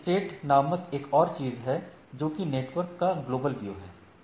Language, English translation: Hindi, There is another thing called link state, have a global view of the network